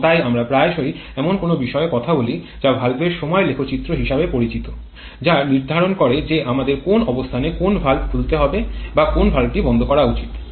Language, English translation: Bengali, And therefore we often talk about something known as a valve timing diagram which determines at which point we should open which valve or we should close valve